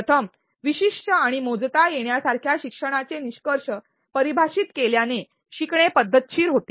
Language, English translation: Marathi, Firstly defining specific and measurable learning outcomes makes learning systematic